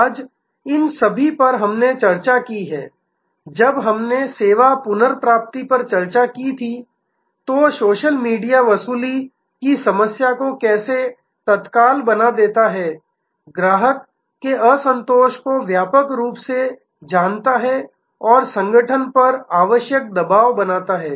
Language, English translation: Hindi, Today, all these can, we have discussed when we discussed service recovery, how social media makes the recovery problem so immediate, makes the customer dissatisfaction known widely and creates the necessary pressure on the organization